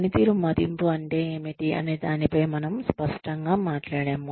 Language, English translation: Telugu, We talked about, being clear on, what performance appraisal meant